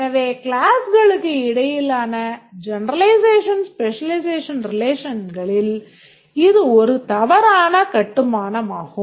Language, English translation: Tamil, So, this is a wrong construction of generalization, specialization relation between these classes